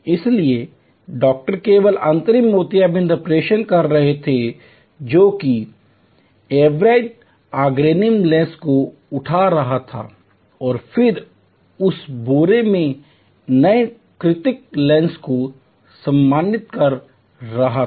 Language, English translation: Hindi, So, the doctor was only doing the final cataract operation, which is lifting of the atrophied organic lens and then insertion of the new artificial lens in that sack